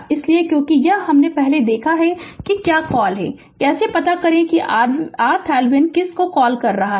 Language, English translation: Hindi, So, because ah this we have seen before that your what you call how to find out your what you call R thevenin right